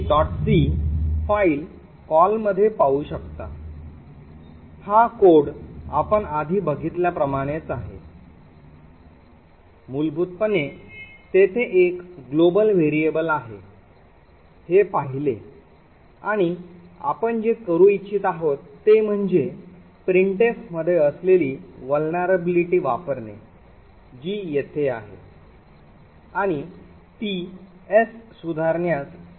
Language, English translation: Marathi, c, this code is very similar to what we have seen before essentially there is a global variable s and what we do intend to do is to use the vulnerability in the printf which is present here and be able to modify s